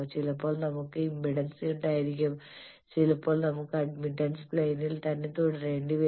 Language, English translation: Malayalam, Sometimes we need to have impedance; sometimes we need have to stay in the admittance plane